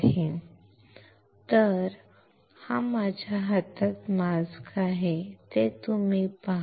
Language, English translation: Marathi, So, you see here in my hand I have the mask